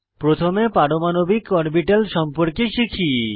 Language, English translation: Bengali, Let us first see what an atomic orbital is